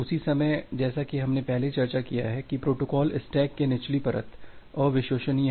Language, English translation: Hindi, At the same time, as we have discussed earlier that the lower layer of the protocol stack is kind of unreliable